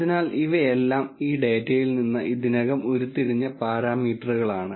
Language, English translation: Malayalam, So, these are all parameters that have already been derived out of this data